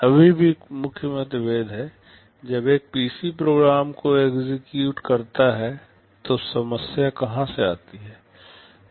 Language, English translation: Hindi, There are still some differences; when a PC executes the program, from where does the problem come from